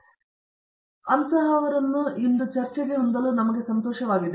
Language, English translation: Kannada, So, it’s our pleasure to have her with us today